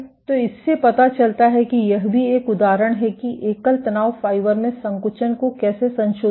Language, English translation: Hindi, So, this suggests that this is also an example of how contractility at the single stress fiber is being modulated